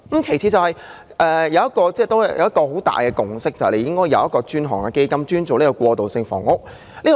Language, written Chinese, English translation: Cantonese, 其次，社會的一大共識是政府應設有專項基金，處理過渡性房屋的供應。, Secondly a major consensus for the community is for the Government to set up a dedicated fund to handle the provision of transitional housing